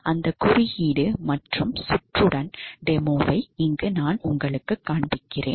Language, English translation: Tamil, So, I will be showing the demo with that code as well as circuit